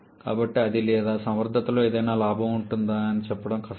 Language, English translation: Telugu, So, it is difficult to say whether that or there will be any gain at all in the efficiency